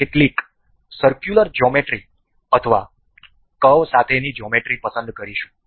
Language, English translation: Gujarati, We will select some geometrical circular geometry or geometry with curved